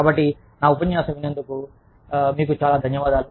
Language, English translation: Telugu, So, thank you very much, for listening to me